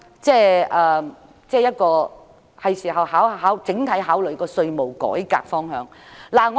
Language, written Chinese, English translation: Cantonese, 政府是時候考慮整體的稅務改革方向了。, It is time for the Government to consider the overall direction for tax reform